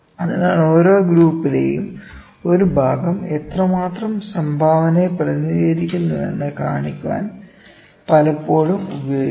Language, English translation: Malayalam, So, there is often used to show how much contribution a part of each group represents